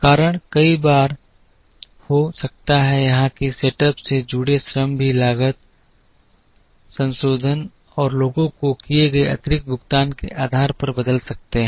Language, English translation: Hindi, The reason could be many sometimes even the labour associated with the setup the cost can change depending on pay revision and additional payments made to the people